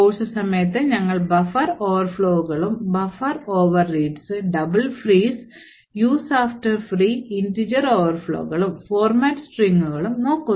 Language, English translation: Malayalam, So, we will be looking at during the course at buffer overflows and buffer overreads, heaps double frees and use after free, integer overflows and format string